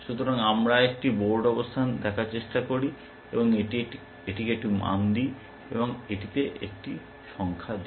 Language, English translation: Bengali, So, we try to look at a board position, and give it a value, give it a number